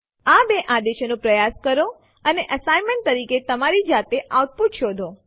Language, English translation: Gujarati, Please try these two commands and find the output for yourself as an assignment